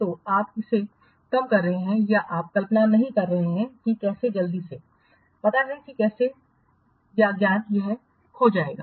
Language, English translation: Hindi, So you are underestimating that or you are not imagining that how quickly the know how or the knowledge it will get lost